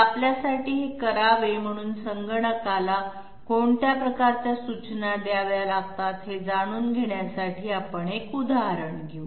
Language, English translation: Marathi, So let us take an example to find out what kind of instructions have to be given to the computer to do it for us